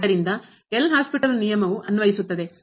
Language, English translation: Kannada, So, L’Hospital’s rule is also applicable